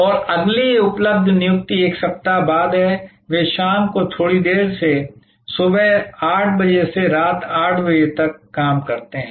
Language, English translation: Hindi, And the next available appointment is 1 week later; they also operate from 8 am to 10 pm a little longer in the evening